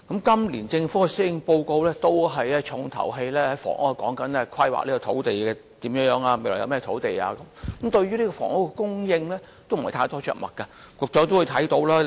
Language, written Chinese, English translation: Cantonese, 今年政府的施政報告的"重頭戲"，都是有關如何規劃土地，未來有甚麼土地，但對於房屋的供應，卻着墨不多。, The emphasis of the Governments Policy Address this year is land planning and the availability of lands . But it does not say much on housing supply